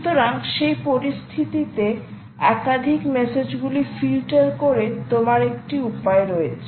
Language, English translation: Bengali, you have a way by filtering out multiple messages that come